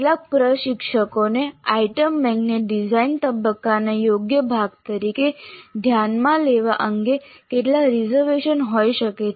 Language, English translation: Gujarati, Some instructors may have some reservations about considering the item bank as a proper part of the design phase